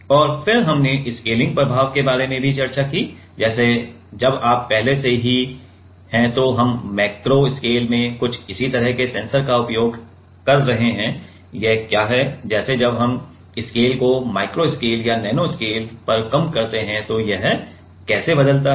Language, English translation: Hindi, And, then we have also discussed about the scaling effect; like while you are already we are using some similar kind of sensors in macro scale, what does it like how does it change when we scale down to micro scale or nano scale